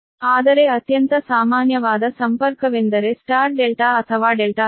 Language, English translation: Kannada, but the most common connection is the star delta or delta star right